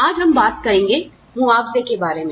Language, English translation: Hindi, Today, we will talk about, Compensation